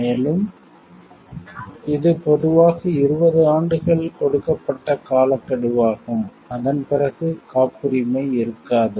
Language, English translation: Tamil, And this is generally the timeframe given is 20 years, after which the patent is no longer there